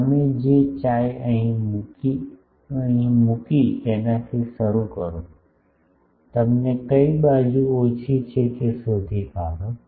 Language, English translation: Gujarati, You find chi means, you start with the chi you put it here, you find out which side is less